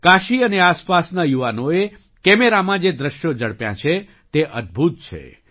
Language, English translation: Gujarati, The moments that the youth of Kashi and surrounding areas have captured on camera are amazing